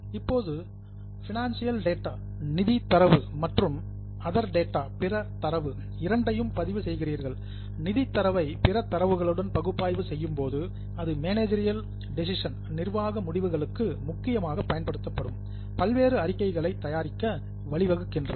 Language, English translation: Tamil, Now you are recording both financial as well as other data, you analyze the financial data with other data that leads to preparation of various statements which are mainly used for managerial decisions